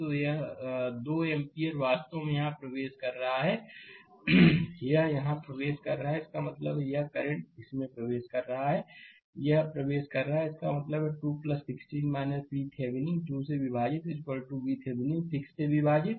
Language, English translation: Hindi, So, 2 ampere actually entering here right; it is entering here; that means, this current this is entering, this is entering; that means, 2 plus 16 minus V Thevenin divided by 2 is equal to V Thevenin divided by 6 right